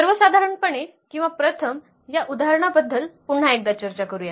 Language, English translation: Marathi, In general, or first let us talk about this example once again